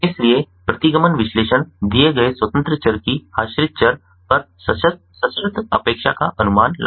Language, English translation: Hindi, so regression analysis estimates the conditional expectation of the dependent variable